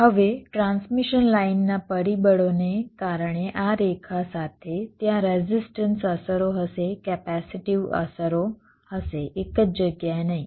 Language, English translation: Gujarati, now, because of transmission line factors means along this line there will be resistive effects, there will be capacitive effects, not in one place all throughout